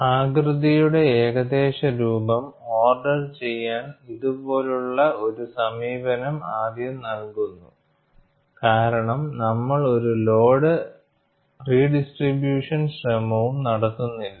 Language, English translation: Malayalam, An approach like this, gives the first order approximation of the shape, because we do not make any attempt to redistribute the load